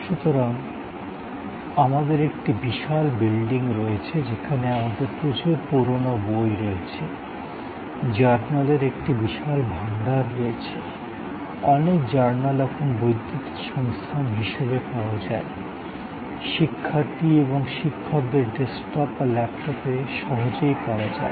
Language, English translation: Bengali, So, we have a huge building and we have many old books, a huge repository of journals, many journals are now available as electronic resource, easily available on the desktop or laptop of students, faculty